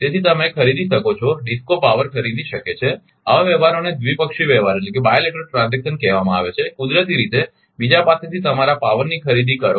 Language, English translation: Gujarati, So, you can buy DISCO can buy power, such transactions are called bilateral transaction naturally power your buy from other